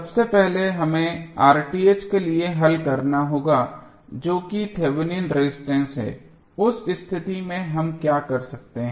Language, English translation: Hindi, First, we have to solve for R Th that is Thevenin resistance, in that case what we can do